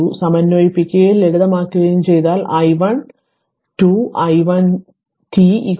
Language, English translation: Malayalam, If you just simplify integrate and simplify you will get i 1 2 i 1 t is equal to 2